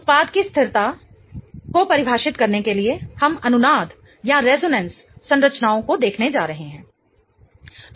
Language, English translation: Hindi, In order to define the stability of the product we are going to look at the resonance structures